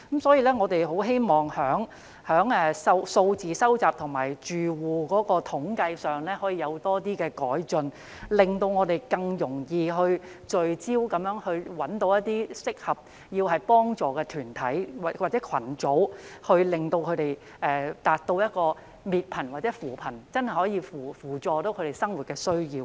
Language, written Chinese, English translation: Cantonese, 所以，我們希望在收集住戶統計資料上可以有更多改進，令我們更容易聚焦式找出一些需要幫助的團體或群組，以便達到滅貧或扶貧的目標，真正扶助他們的生活需要。, For this reason we hope that more improvement can be made to the collection of household statistical data so that it will be easier for us to identify the groups in need in a focused manner . This will in turn facilitate the achievement of the objective of poverty elimination or alleviation and truly support the daily needs of those people